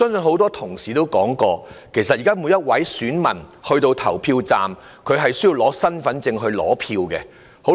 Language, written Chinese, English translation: Cantonese, 很多同事也提到，現在每名選民到達投票站後，都需要出示身份證來取選票。, As mentioned by many Honourable colleagues an elector is required to present his identity card at the polling station in order to obtain a ballot paper